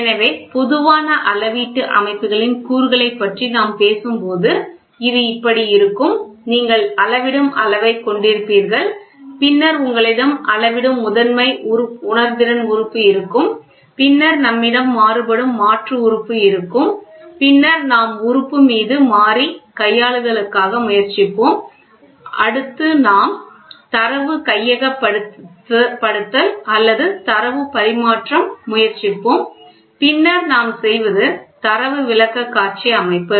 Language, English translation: Tamil, So, it will be like this so you will have measuring quantity, then you will have Primary Sensing Element measure it and then what we have is we will have Variable Conversion Element then we will try to have Variable Manipulation on Element, then we will have Data Acquisition or a Data Transmission, right and then what we do is Data Presentation System